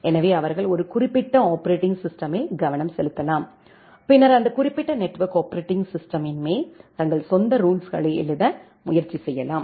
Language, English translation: Tamil, So, they can just concentrate on a specific operating system and then try to write their own rules on top of that specific network operating system